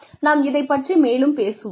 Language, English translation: Tamil, We will talk more about this later